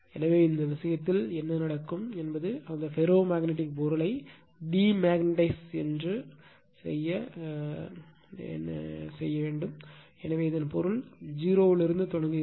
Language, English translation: Tamil, So, in this case, what will happen that you have completely you are what we called demagnetize that ferromagnetic material, so that means, it is starting from 0